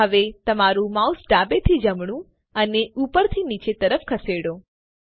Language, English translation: Gujarati, Now move your mouse left to right and up and down